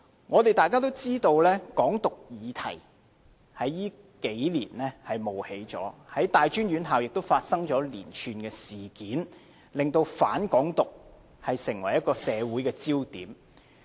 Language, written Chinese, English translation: Cantonese, 我們大家也知道，"港獨"議題在這數年間冒起，在大專院校也發生了連串的事件，令"反港獨"成為社會焦點。, As we all know the issue of independence of Hong Kong has emerged in recent years by which a series of incidents were triggered among local tertiary institutions thus making anti - independence of Hong Kong a social focus